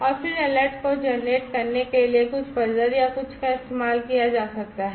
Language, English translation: Hindi, And then some kind of alert like some buzzer or something could be used in order to generate the alert